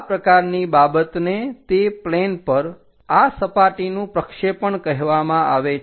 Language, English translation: Gujarati, This kind of thing is called what projection of this surface on to that plane